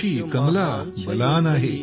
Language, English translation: Marathi, Koshi, Kamla Balan,